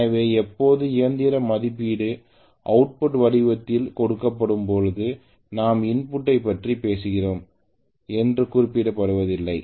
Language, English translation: Tamil, So always when the machine rating is given it is given in the form of output unless mentioned specifically that we are talking about input, unless mentioned specifically